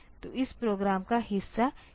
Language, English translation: Hindi, So, this part of the program is doing that